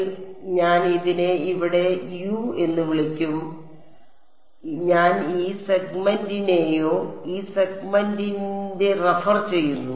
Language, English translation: Malayalam, So, I will call this over here U so, I am referring to this segment or this segment right